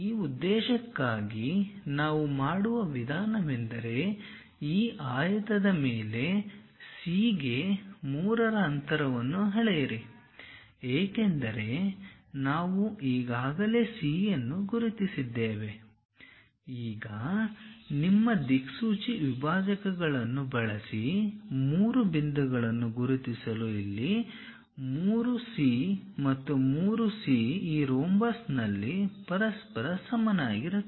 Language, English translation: Kannada, For that purpose the way how we do is, measure what is the distance of C to 3 on this rectangle because we have already identified C, now use your compass dividers to mark three points where 3C here and 3C there are equal to each other on this rhombus